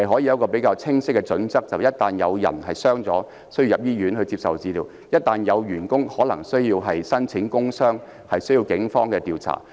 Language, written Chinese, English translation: Cantonese, 根據較清晰的準則，一旦有人受傷、需要入院接受治療，或只要有員工需要申報工傷個案，便須交由警方調查。, According to more straightforward criteria any incidents that cause injuries necessitate hospitalization of the injured persons for treatment or lead to the filing of cases concerning occupational injuries should be subject to police investigation